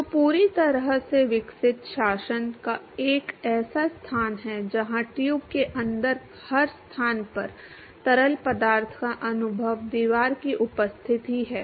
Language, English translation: Hindi, So, fully developed regime is a location where every location in the every location inside the tube the fluid experience is the presence of the wall